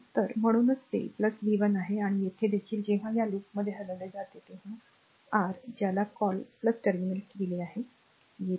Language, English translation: Marathi, So, that is why it is plus v 1 , and here also when we move in this loop, it is your what you call plus ah terminal it is encountering